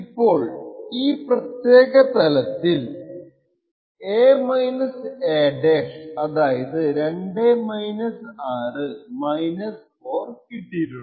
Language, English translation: Malayalam, Now in this particular case he would have obtained a – a~ to be 2 – 6 to be equal to 4 right